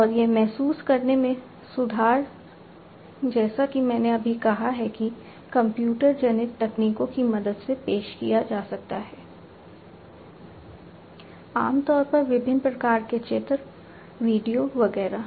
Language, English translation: Hindi, And that improved feeling as I just said can be offered with the help of computer generated technologies, typically different types of images, videos, etcetera